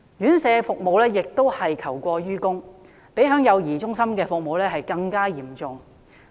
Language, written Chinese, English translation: Cantonese, 院舍服務同樣求過於供，相比幼兒中心的服務更為嚴重。, Demand for residential care home services exceeds supply which is more serious than the problem of child care centre services